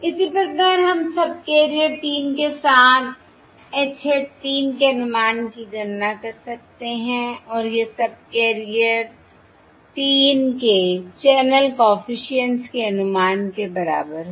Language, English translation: Hindi, Similarly, we can calculate the estimate capital H hat 3 across subcarrier 3 and this is equal to the estimate of channel coefficient across subcarrier 3